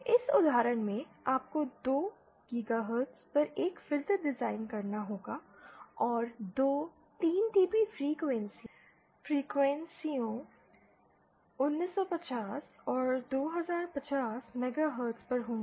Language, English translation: Hindi, In this example you have to design a filter at 2 GHz and two 3dB frequencies are at 1950 and 2050 megahertz